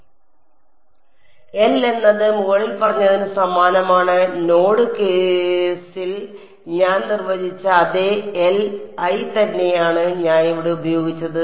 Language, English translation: Malayalam, Is the same as above, the same L i which I defined in the node case I used over here right